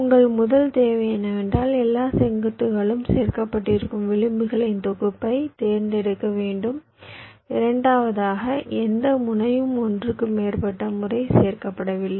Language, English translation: Tamil, your first requirement is that you have to select a set of edges such that all vertices are included and, secondly, no vertex is included more than once